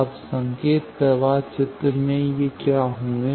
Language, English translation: Hindi, Now, in the signal flow graph what will be these